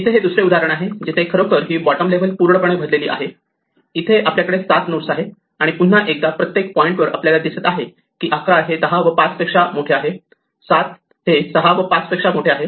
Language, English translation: Marathi, Here is another example where the bottom level is actually full, here we have 7 nodes and once again at every point we see that 11 is bigger than 10 and 5, 7 is bigger than 6 and 5